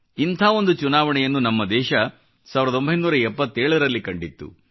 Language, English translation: Kannada, And the country had witnessed one such Election in '77